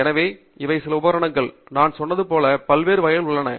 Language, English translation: Tamil, So, this is some equipment; as I said a lot of variety is there